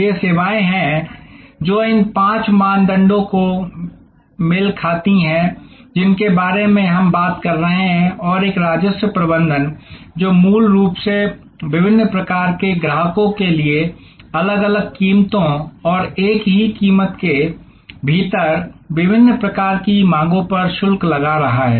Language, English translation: Hindi, These are services, which match these five criteria, which we are talked about and a revenue management, which is basically charging different prices for different types of customers and different types of demands within the same episode